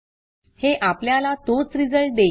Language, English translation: Marathi, It gives the same result